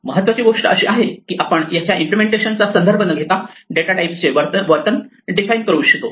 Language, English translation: Marathi, The important thing is that we would like to define the behavior of a data type without reference to the implementation